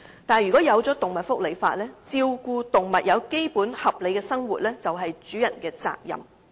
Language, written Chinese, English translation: Cantonese, 不過，如果制定動物福利法例，便可以訂明照顧動物並提供基本合理的生活是主人的責任。, However if animal welfare legislation is enacted we may specify that animal owners are duty - bound to take care of their animals and provide them with basic and reasonable living